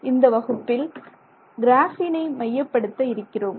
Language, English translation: Tamil, Hello, in this class we are going to look at graphene